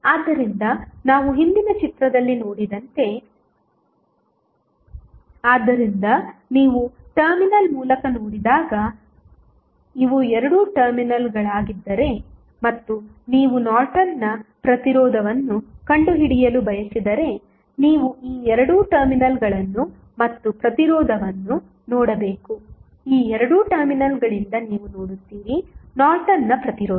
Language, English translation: Kannada, So, as we saw in the previous figure, so, when you look through the terminal suppose, if these are the 2 terminals, and you want to find out the Norton's resistance, then you have to look through these 2 terminal and the resistance which you will see from these 2 terminals would be Norton's resistance